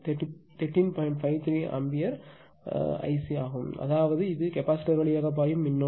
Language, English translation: Tamil, 53 ampere that is I C right ; that means, which is the current flowing through the capacitor this is the current right